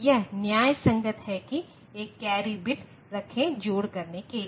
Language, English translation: Hindi, That justifies keeping a single carry bit for doing the addition